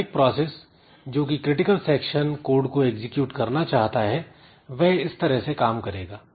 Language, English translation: Hindi, Each process wishing to execute the critical section code so it will do like this